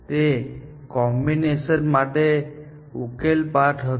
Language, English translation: Gujarati, The solution in that combination was a path